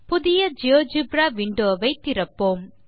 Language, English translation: Tamil, Lets open a new GeoGebra window